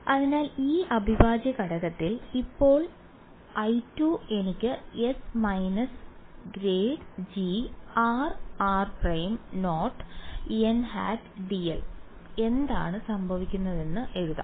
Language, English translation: Malayalam, So, in this integral now I 2 I can write as s minus grad g r r prime dot n hat d l what happens